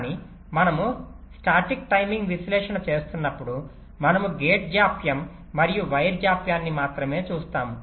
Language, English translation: Telugu, but while we are doing static timing analysis we look at only the gate delays and the wire delays